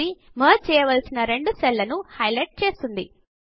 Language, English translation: Telugu, This highlights the two cells that are to be merged